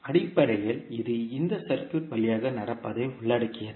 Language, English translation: Tamil, Basically it involves walking through this circuit